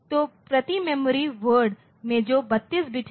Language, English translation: Hindi, So, in per memory word so, in memory what is 32 bit